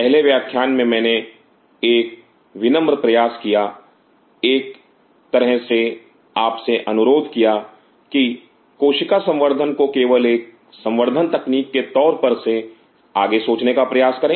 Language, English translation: Hindi, The first class I made a humble attempt to kind of request you to think beyond cell culture as just a culture technique